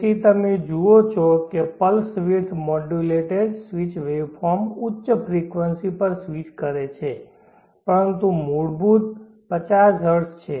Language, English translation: Gujarati, So you see the pulse width modulated waveform is switching at high frequency, but the fundamental is 50 Hertz